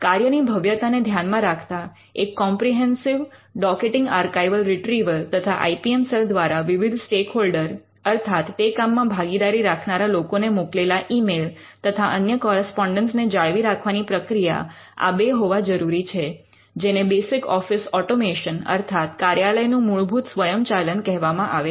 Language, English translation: Gujarati, Because of the scale that has to be a comprehensive docketing archival retrieval and they should be a process for keeping all the email and the correspondence that is being sent by the IPM cell to different stakeholders, what you called basic office automation